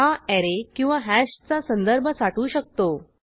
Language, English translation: Marathi, It can also hold the reference to an array or reference to a hash